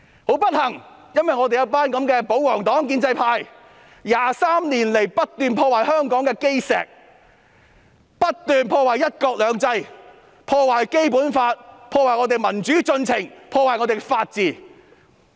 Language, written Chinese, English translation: Cantonese, 很不幸，有一群這樣的保皇黨和建制派 ，23 年來不斷破壞香港的基石、破壞"一國兩制"、破壞《基本法》、破壞民主進程和破壞法治。, Regrettably this group of people from the pro - Government camp and the pro - establishment camp have been destroying the foundation of Hong Kong one county two systems the Basic Law the democratic progress and the rule of law over the past 23 years